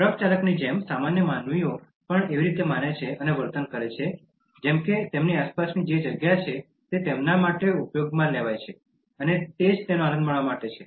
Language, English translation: Gujarati, Just like the truck driver, normal human beings also believe and behave in such a manner as if whatever space around them is for them to utilize and it is meant for them to enjoy